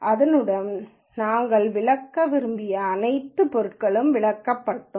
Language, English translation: Tamil, With that all the material that we intended to cover would have been covered